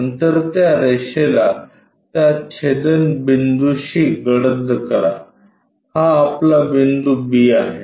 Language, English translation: Marathi, Then, darken this line at that intersection this will be our b